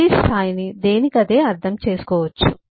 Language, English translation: Telugu, every level can be understood on its one